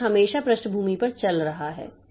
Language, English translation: Hindi, So, something is always running at the background